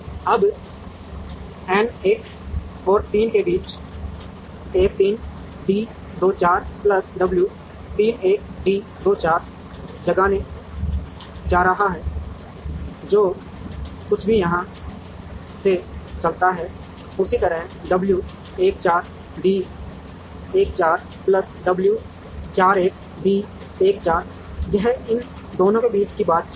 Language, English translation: Hindi, Now, between n 1 and 3, there is going to be a w 1 3 d 2 4 plus w 3 1 d 2 4 moves from here and whatever moves from here, similarly w 1 4 d 1 4 plus w 4 1 d 1 4, this is the interaction between these 2